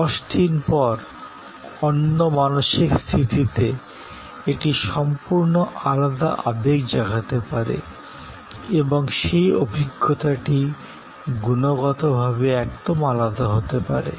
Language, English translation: Bengali, In another frame of my mind, 10 days later, it may evoke a complete different set of emotions and the experience may be qualitatively different